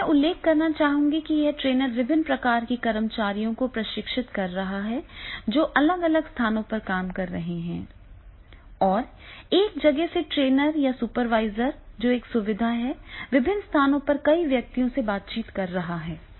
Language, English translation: Hindi, Here I would like to add you can imagine here that is the different type of the employees are working at different places and from the one place the trainer or the supervisor or whoever is the facilitator he is interacting with the number of persons at the different places